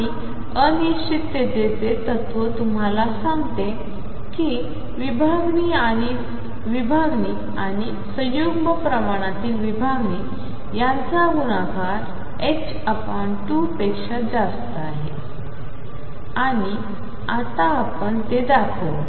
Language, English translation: Marathi, And what uncertainty principle tells you is that the spread multiplied by the spread in the conjugate quantity is greater than h cross by 2, and let us now show that